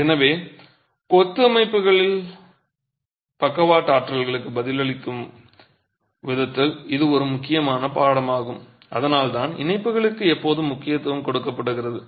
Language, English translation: Tamil, So, that is an important lesson in the way masonry structures will respond to lateral forces and that's the reason why the emphasis is always on connections